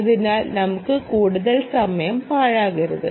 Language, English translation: Malayalam, so lets not waste much time